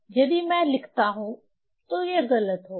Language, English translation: Hindi, If I write, so that will be wrong basically